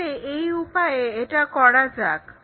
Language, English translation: Bengali, So, let us begin it here